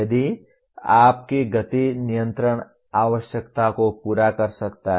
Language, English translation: Hindi, It may meet your speed control requirement